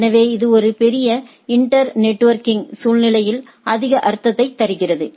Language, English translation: Tamil, So, this makes more sense in a large inter networking scenario